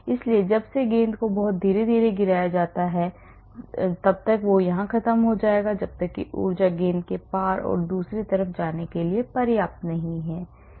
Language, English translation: Hindi, So, the balls since they are dropped very slowly it will invariably end up here unless the energy is high enough for the ball to cross and go the other side